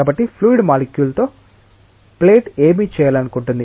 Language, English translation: Telugu, So, what will the plate like to do with the fluid molecule